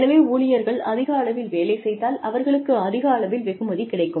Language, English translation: Tamil, So, if the employee is contributing more, then the employee gets more